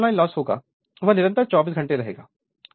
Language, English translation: Hindi, So, whatever iron loss will be there it will remain constant and 24 hours